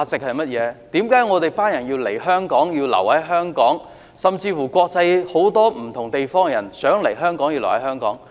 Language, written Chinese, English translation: Cantonese, 為何我們要來香港、留在香港，甚至國際很多不同地方的人想來香港、留在香港？, Why do we come and stay in Hong Kong? . Why do people from so many different places around the world want to come and stay in Hong Kong?